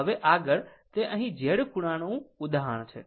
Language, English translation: Gujarati, Now, next that is here written example Z angle